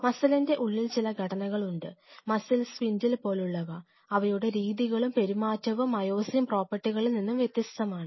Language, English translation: Malayalam, There not only that within this muscle there are certain structures or muscle spindle, they behave entirely differently their myosin properties are entirely different